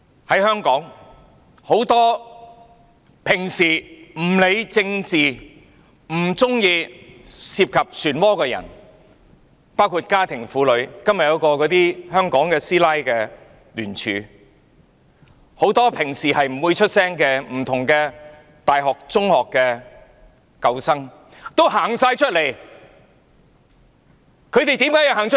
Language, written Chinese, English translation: Cantonese, 在香港，很多平常不理政治、不喜歡涉及漩渦的人，包括家庭婦女——今天便有一個"香港師奶"的聯署——很多平常不會發聲，來自不同大學、中學的舊生也走出來，他們為何要走出來？, In Hong Kong many people who usually care little about politics and do not like to get involved in the whirlpool including housewives―today there is a signature campaign organized by housewives in Hong Kong―and also many alumni from different universities and secondary schools who normally do not voice their views have come forth . Why do they come forth? . Because they have to point out how this Government led by Carrie LAM has wreaked havoc on Hong Kong